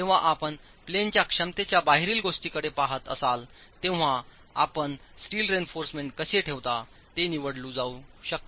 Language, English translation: Marathi, When you are looking at the out of plane capacity, again the choice is how you place the steel reinforcement